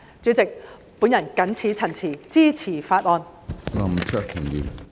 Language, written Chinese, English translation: Cantonese, 主席，我謹此陳辭，支持《條例草案》。, With these remarks President I support the Bill